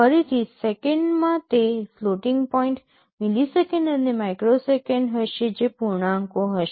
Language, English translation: Gujarati, Again in seconds it will be floating point, milliseconds and microseconds it will be integers